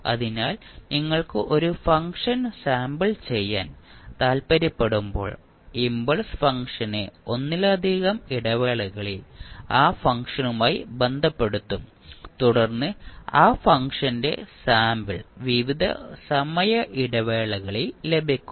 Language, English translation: Malayalam, So, when you want to sample a particular function, you will associate the impulse function with that function at multiple intervals then you get the sample of that function at various time intervals